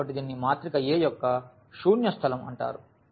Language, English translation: Telugu, So, this is called the null space of the matrix A